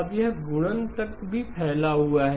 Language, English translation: Hindi, Now it also extends to multiplication